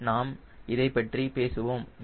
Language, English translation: Tamil, we will talk about those things